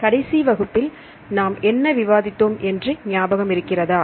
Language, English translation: Tamil, So do you remember what did we discuss in the last class